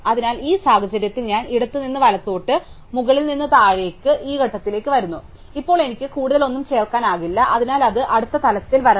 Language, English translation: Malayalam, So, in this case if I go left to right, top to bottom I come to this point, now I cannot add anything more, so it must come at the next level